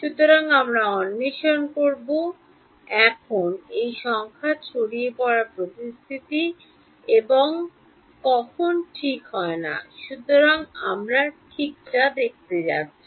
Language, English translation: Bengali, So, we will explore now under what conditions this numerical dispersion happens and when does it not happen ok; so, that is what we going to look at ok